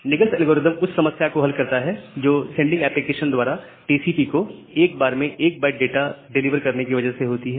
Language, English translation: Hindi, So, the Nagle’s algorithm it solves the problem caused by the sending application delivering data to TCP 1 byte at a time